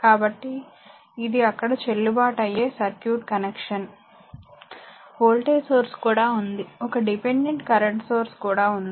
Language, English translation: Telugu, So, it is a valid circuit connection there, even voltage source is there, one dependent current sources